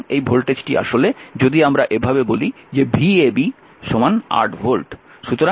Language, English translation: Bengali, So, this voltage actually if we make like this the v a b is equal to say 8 volt right